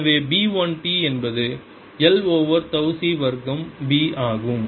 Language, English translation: Tamil, so b one t is l over tau c square p t